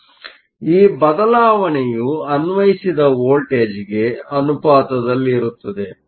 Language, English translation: Kannada, So, this shifting up is proportional to the applied voltage